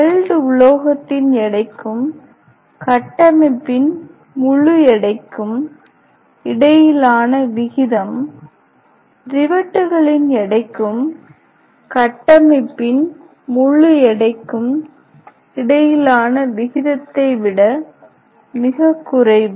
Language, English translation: Tamil, Ratio between weight of the metal and entire weight of the structure is much lesser, than the ratio between the weight of the rivets and entire weight of the structure